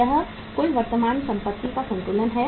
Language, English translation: Hindi, This is the total current assets